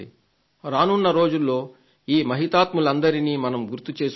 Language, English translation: Telugu, In the coming days, we will get to remember a lot of these great men